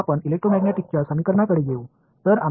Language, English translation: Tamil, Then let us come to the equations of electromagnetics